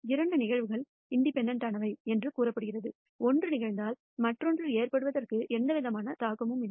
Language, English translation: Tamil, Two events are said to be independent, if the occurrence of one has no influence on the occurrence of other